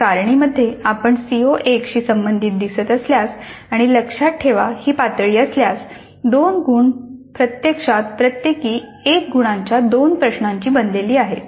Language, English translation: Marathi, So in the table if you see corresponding to CO1 corresponding to remember level two marks are actually composed with two questions, each of one mark